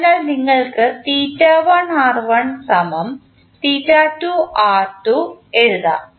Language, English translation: Malayalam, So, what you will write